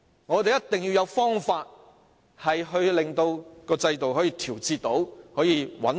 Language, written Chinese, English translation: Cantonese, 我們一定要找出方法調節制度，令其變得穩定。, We must find a way to adjust the system and make it stable